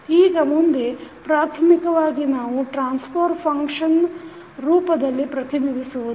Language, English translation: Kannada, Now, next is to basically we have represented in the form of transfer function